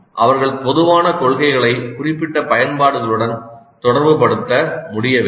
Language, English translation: Tamil, They must be able to relate the general principles to the specific applications